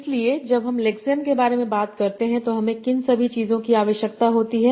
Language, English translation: Hindi, So when I talk about lexine, what are the things I need to have